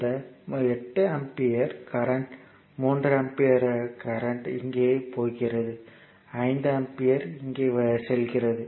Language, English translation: Tamil, Now, next is the 3 ampere now here in here it is now this 8 ampere, current 3 ampere is going here, 5 ampere is going here